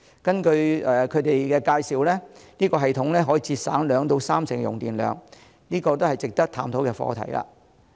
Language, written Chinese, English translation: Cantonese, 根據介紹，該系統可以節省兩至三成用電量，是值得探討的課題。, We learn that such a system can reduce 20 % to 30 % of electricity consumption and is thus worth exploring